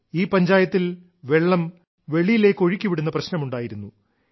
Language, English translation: Malayalam, This Panchayat faced the problem of water drainage